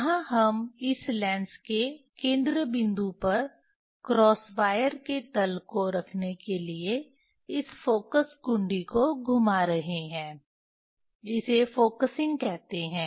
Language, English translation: Hindi, Vernier this focus knob we are we are rotating to place the cross wire plain at the focal point of this of this lens, Vernier that is the focusing